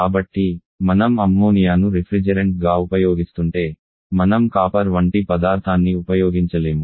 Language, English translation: Telugu, So we cannot if we are using ammonia as a refrigerant we cannot use copper like material